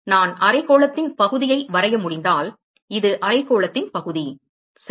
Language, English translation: Tamil, If I can draw section of the hemisphere, so this is the section of the hemisphere ok